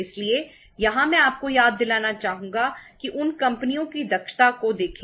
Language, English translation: Hindi, So here I would like to remind you that look at the efficiency of those companies